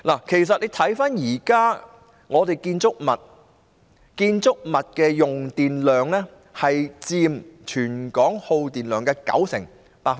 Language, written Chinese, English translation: Cantonese, 其實大家看看香港現時的建築物，其用電量佔全港耗電量的九成。, In fact we can draw our attention to the existing buildings in Hong Kong which account for 90 % of the power consumption of the territory